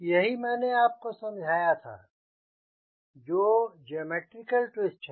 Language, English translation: Hindi, right, that is geometric twist